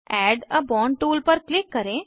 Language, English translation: Hindi, Click on Add a bond tool